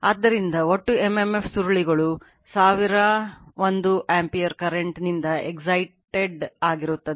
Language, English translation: Kannada, So, total m m f will be coils excited by 1000 1 ampere current